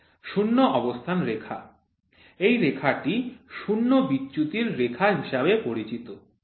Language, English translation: Bengali, Zero line the line is known as a line of zero deviation